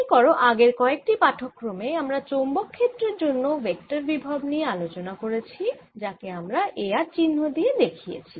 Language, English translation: Bengali, recall that in the past few lectures we have been talking about the vector potential for a magnetic field, which i denote by a, r, such that curl of a is b